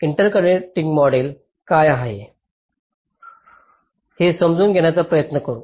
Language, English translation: Marathi, ah, let me try to understand what interconnecting model is all about